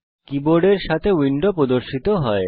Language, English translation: Bengali, The window displaying the keyboard appears